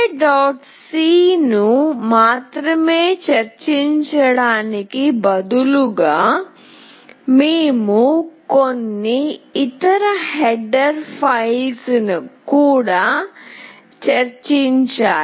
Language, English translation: Telugu, c, we also need to include few other header files